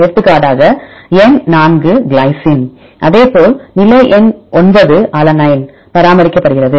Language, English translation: Tamil, For example, number 4 the glycine is maintained likewise position number 9 its alanine is maintained